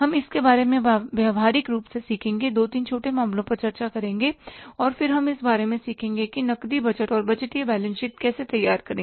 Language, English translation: Hindi, We will discuss two, three small cases and then we will learn about that how to prepare the cash budget and the budgeted balance sheet